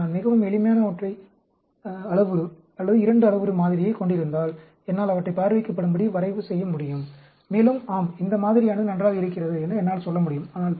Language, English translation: Tamil, But, if I am having a very simple single parameter, or a 2 parameter model, I can even visually plot them, and I can say, yes, this model looks good